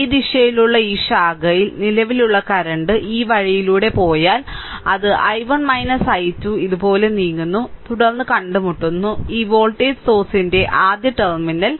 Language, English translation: Malayalam, So, resultant current here in this branch in this direction, it is if you go this way it is i 1 minus i 2 moving like this then encountering minus terminal first of this voltage source